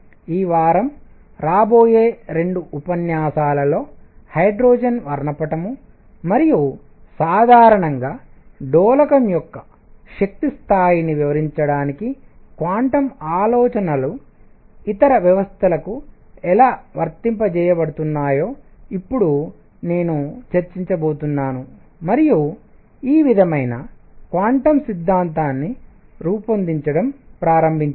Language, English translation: Telugu, In the coming 2 lectures this week, I am going to now discuss how quantum ideas were also applied to other systems to explain say hydrogen spectrum and the energy level of an oscillator in general, and this sort of started building up quantum theory